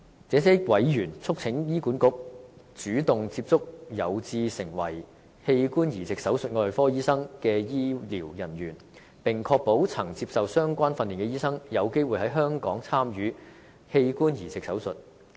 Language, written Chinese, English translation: Cantonese, 這些委員促請醫管局，主動接觸有志成為器官移植手術外科醫生的人員，並確保曾接受相關訓練的醫生有機會在香港參與器官移植手術。, These members urge HA to proactively approach doctors who are interested in becoming organ transplant surgeons and ensure that doctors who have received the required training will have opportunities to participate in organ transplant surgery in Hong Kong